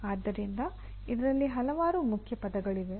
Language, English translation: Kannada, So there are several keywords in this